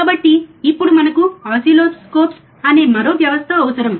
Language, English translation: Telugu, So now, we need another system which is oscilloscopes